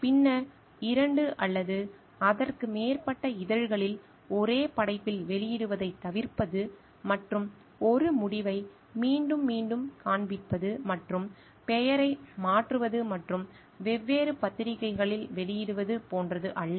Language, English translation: Tamil, Then, avoiding duplication of publication in the same work in 2 or more journals and not like showing one result again and again and just changing the name and getting it published in different different journals